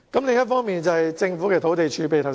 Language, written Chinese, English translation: Cantonese, 另一方面，是政府的土地儲備問題。, Another issue is the land reserve of the Government